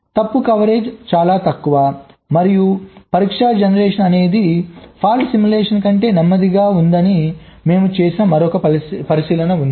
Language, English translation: Telugu, and there is another observation we made: test generation is lower than fault simulation